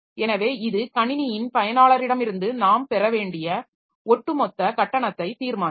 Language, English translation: Tamil, So, that will determine the overall charge that we have to take from the user of the system